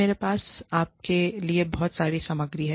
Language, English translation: Hindi, I have a lot of material, for you